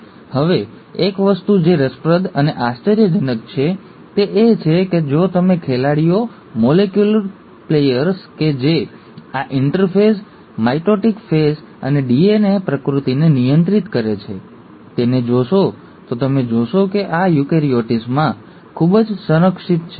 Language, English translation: Gujarati, Now, one thing which is intriguing and surprising rather, is that if you were to look at the players, the molecular players which govern this interphase, mitotic phase and DNA replication, you find that they are highly conserved in eukaryotes